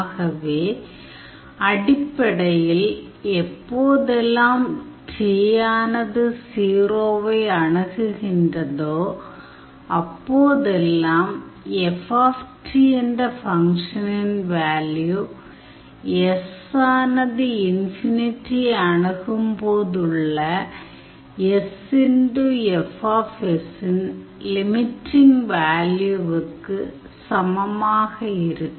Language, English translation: Tamil, So, basically whenever t is approaching 0, that value for the function F t this should be equals to the limiting value of sf s whenever s approaches infinity